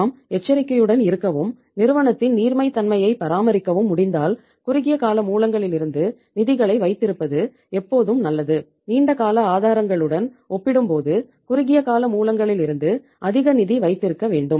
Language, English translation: Tamil, If we are able to keep the caution and to maintain the liquidity in the firm it is always better to have the funds from the short term sources, more funds from the short term sources as compared to the long term sources right